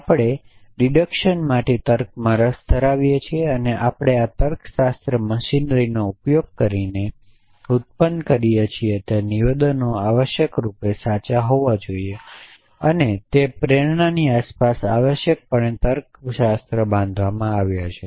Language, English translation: Gujarati, We are interested in logic for deduction that statements that we derive or produce using this logic machinery should necessarily be true and logic is built around that motivation essentially